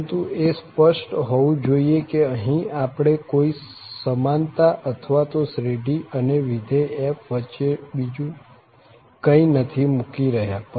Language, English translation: Gujarati, But, it should be clear that we are not putting here any equality or anything between the series and the function f